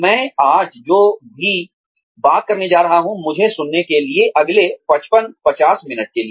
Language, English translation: Hindi, In, whatever I am going to talk about today, to listen to me, for the next 50, 55 minutes